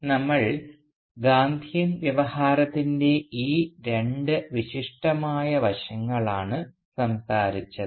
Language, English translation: Malayalam, So these are the two aspects, the two salient aspects of Gandhian discourse, that we had talked about